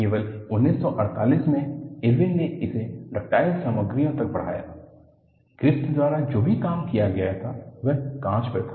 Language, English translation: Hindi, Only in 1948, Irwin extended this to ductile materials; whatever the work that was done by Griffith, was on glass